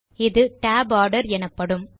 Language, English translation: Tamil, This is called the tab order